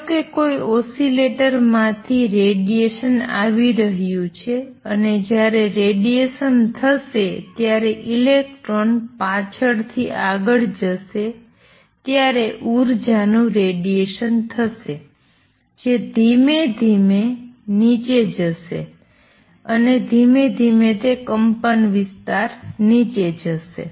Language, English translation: Gujarati, Suppose the radiation is coming from it an oscillator and electron oscillating back and forth when it radiates will radiate the energy will go down and slowly it is amplitude will go down